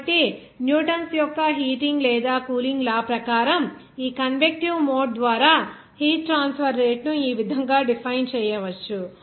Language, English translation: Telugu, So, as per Newton's law of heating or cooling, the rate of heat transfer by this convective mode can be defined as this Here h is given to you it is a 2